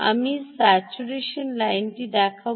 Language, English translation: Bengali, i will show the saturation line